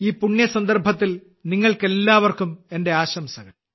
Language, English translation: Malayalam, My best wishes to all of you on this auspicious occasion